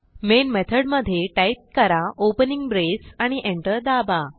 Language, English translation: Marathi, Inside the main method type an opening brace and hitEnter